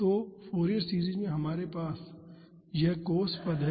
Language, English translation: Hindi, So, in the Fourier series we have this cos terms